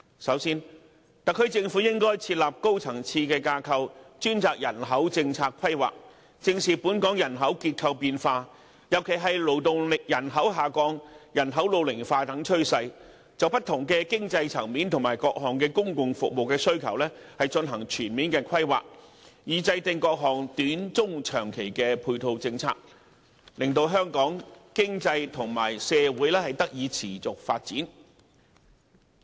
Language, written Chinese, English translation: Cantonese, 首先，特區政府應設立高層次架構，專責人口政策規劃，正視本港人口結構變化，尤其是勞動力人口下降、人口老齡化等趨勢，就不同經濟層面及各項公共服務需求進行全面規劃，以制訂各項短、中、長期的配套政策，令香港經濟及社會得以持續發展。, First the SAR Government should create a high - level body specializing in formulating population policy with emphasis on demographic changes in Hong Kong especially the diminishing workforce and an ageing population etc . The body should comprehensively map out measures concerning people at different economic levels and their needs for various public services so as to develop various short medium and long - term complementary policies to achieve sustainable development for Hong Kongs economy and society